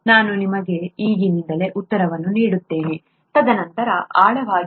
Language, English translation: Kannada, Let me give you the answer right away, and then dig deeper